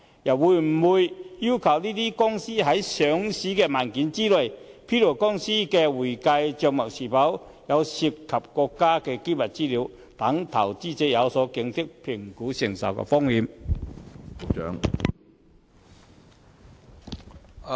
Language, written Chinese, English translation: Cantonese, 政府會否要求該等公司在上市文件中披露公司的會計帳目是否涉及國家機密資料，讓投資者有所警惕，評估所能承受的風險呢？, Will the Government require such companies to disclose in their listing documents the involvement or otherwise of any state secrets in their accounting records so as to alert investors and in turn enable them to assess their bearable risk level?